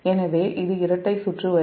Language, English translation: Tamil, so this is double circuit line